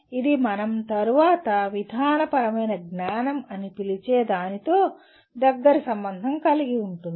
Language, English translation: Telugu, And it is also closely linked with what we call subsequently as procedural knowledge